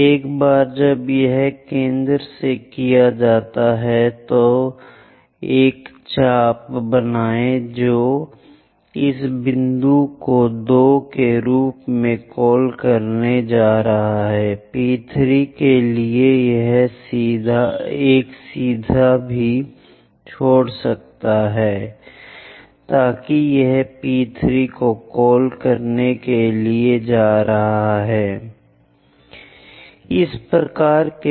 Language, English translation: Hindi, Once it is done from center, make a arc which is going to intersect this point call it as P2, for P3 also drop a perpendicular so that it is going to intersect the 3 line call that P3, for P4 drop a line where it is intersecting call that point as P4